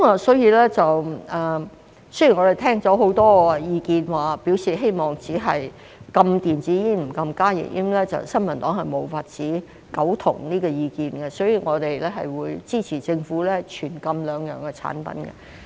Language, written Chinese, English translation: Cantonese, 雖然我們聽了很多意見表示希望只禁電子煙而不禁加熱煙，但新民黨對這個意見無法苟同，所以我們會支持政府全禁兩項產品。, Although we have heard many people expressing the opinion that we should ban only e - cigarettes but not HTPs the New Peoples Party cannot agree with this opinion and we will support the Government to ban both types of products